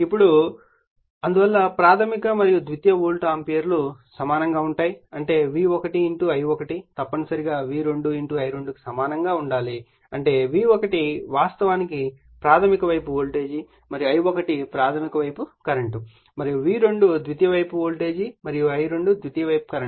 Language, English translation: Telugu, Now, hence the primary and secondary volt amperes will be equal that is V1 * I1 must be equal to V2 * I2 , that is V1 actually is your primary side voltage and I1 is the primary side current and V2 is a secondary side voltage and I2 is the secondary side current